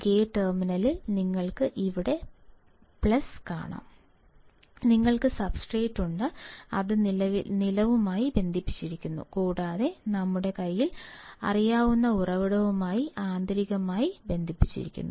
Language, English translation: Malayalam, You can see here plus at gate terminal; you have substrate, which is connected to the ground or connected to the ground and also internally connected to the source that we know